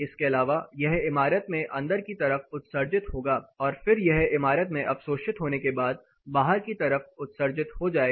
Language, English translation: Hindi, Apart from this; this is going reemit into the building and then it is going to absorb and reemit it outside the building